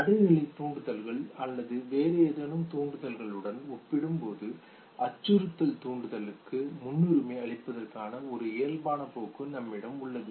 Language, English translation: Tamil, Now there is an innate tendency in us to prioritize the threat stimuli compared to the neutral stimuli or any other stimuli okay